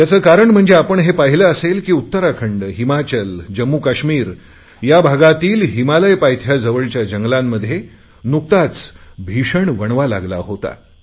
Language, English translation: Marathi, You must have seen in the last few days how forest fires raged in the lap of the Himalayas in Uttarakhand, Himachal Pradesh and Jammu and Kashmir